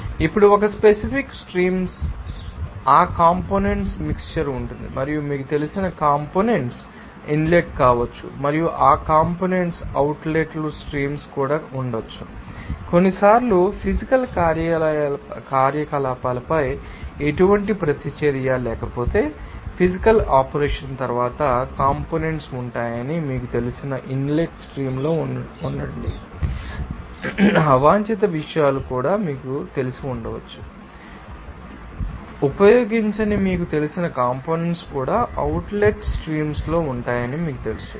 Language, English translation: Telugu, Now, in that case in a particular streams there will be mixture of components and also you can that that you know components may be the inlet and that components may be in the outlet streams also, sometimes if there is no reaction on the physical operations will be there in the inlet stream you know that components will be there after a physical operation, there may be you know that some unwanted or you know that unused you know components are also will be in the outlet streams